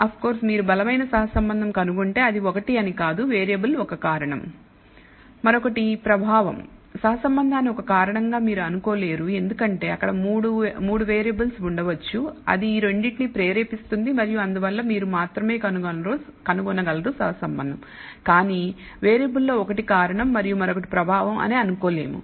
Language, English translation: Telugu, Of course, if you find the strong correlation it does not mean that a the one variable is a causation, the other is an effect you cannot treat correlation as a causation because there can be a third variable which is basically triggering these two and therefore you can only find the correlation, but cannot assume that one of the variable is a causation and the other is an effect